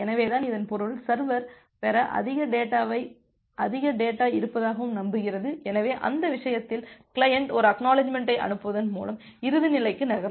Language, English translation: Tamil, So that means, the server is believing that it has more data to receive, so in that case the client moves to the closing state by sending an ACK